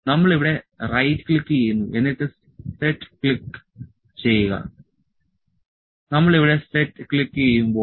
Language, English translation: Malayalam, We right click here and click set, when we click set here